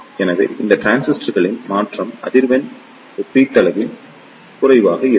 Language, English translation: Tamil, So, the transition frequency of these transistors will be relatively less